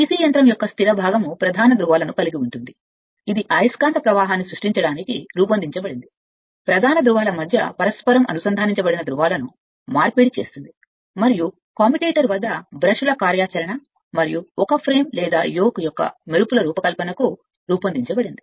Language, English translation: Telugu, The stationary part of a DC machine consists of main poles, designed to create the magnetic flux, commutating poles inter interposed between the main poles and your designed to your sparkles operation of the brushes at the commutator and a frame or yoke